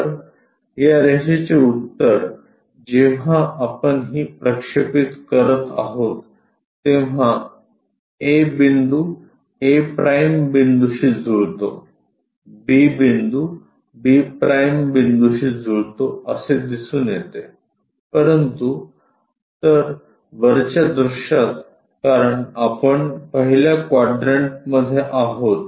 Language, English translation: Marathi, So, the answer for this line when we are projecting turns out to be a point mapped to a’, b point mapped to b’ whereas, in the top view because we are in the first quadrant